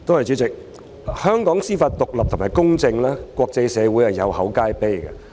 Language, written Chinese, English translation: Cantonese, 主席，香港的司法獨立及公正，在國際社會上是有口皆碑的。, President the independence and impartiality of the Judiciary of Hong Kong is highly acclaimed in the international community